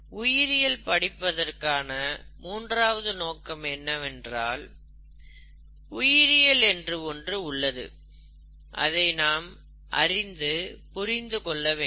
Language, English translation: Tamil, The third reason why we could, we would want to know biology, is because it is there, and needs to be understood